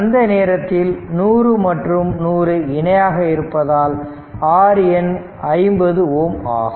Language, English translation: Tamil, So, so 100 so R N is equal to 50 ohm